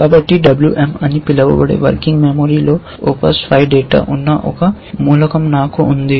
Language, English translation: Telugu, So, I have a element which OPS5 data is in the working memory which is called WM